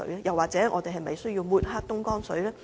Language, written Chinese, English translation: Cantonese, 又或者我們是否需要抹黑東江水呢？, Or does it mean that we should smear Dongjiang water?